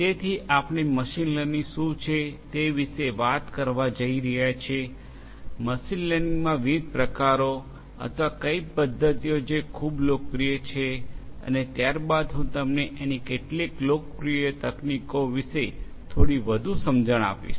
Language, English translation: Gujarati, So, we are going to talk about what machine learning is, what are the different types or methodologies in machine learning which are very popular and thereafter I am going to give you little bit of more idea about some of the different popular techniques that are there